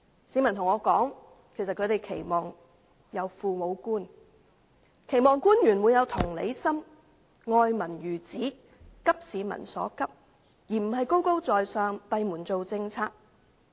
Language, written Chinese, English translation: Cantonese, 市民告訴我，他們期望有父母官，期望官員有同理心，愛民如子，急市民所急，而不是高高在上，閉門制訂政策。, Members of the public have told me that they expect the officials to be as caring as their parents . They expect the officials to be empathetic love the people as their own children and share the publics urgent concern rather than staying high above making policies behind closed doors